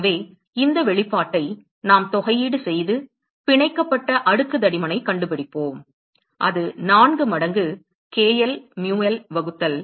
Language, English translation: Tamil, So, we can integrate this expression and we will find the bound layer thickness and that will turn out to be 4 times k l mu l divided by